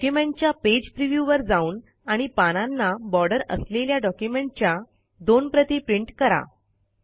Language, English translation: Marathi, Have a Page preview of the document and print two copies of the document with borders on the page